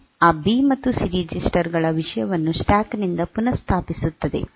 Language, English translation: Kannada, So, it will restore the content of those B and C registers from the stack